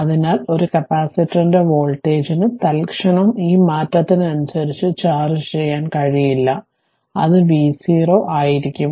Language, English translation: Malayalam, Since, the voltage of a capacitor cannot charge your change instantaneously that is v 0 minus is equal to v 0